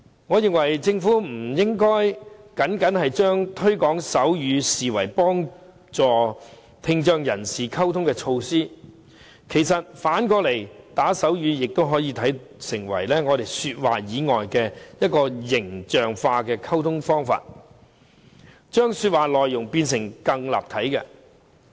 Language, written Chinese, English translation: Cantonese, 我認為政府不應將推廣手語僅僅視為幫助聽障人士溝通的措施，反過來，打手語也可以成為說話以外的形象化溝通方式，將說話內容變得更立體。, I think the Government should not regard promoting sign language merely as a measure to assist people with hearing impairment in their communication . Instead it should recognize that spoken language aside sign language can also be a lively means of communication that makes messages much more vivid